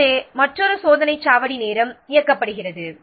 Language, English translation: Tamil, So, another checkpoint is time driven